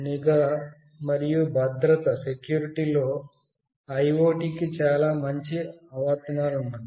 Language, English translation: Telugu, In surveillance and security, IoT has got very good applications